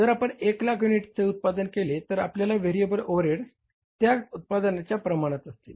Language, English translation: Marathi, If you produce 1 lakh units, your variable overheads will be like that in proportion to that production